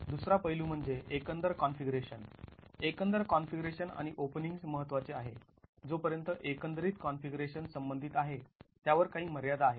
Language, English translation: Marathi, Overall configuration and openings matter as far as overall configuration is concerned, there are limitations on it